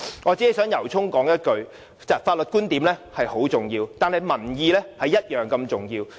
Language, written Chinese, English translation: Cantonese, 我只想由衷說一句，法律觀點十分重要，但民意同樣重要。, I wish to say with all sincerity that though legal views are very important public views are equally important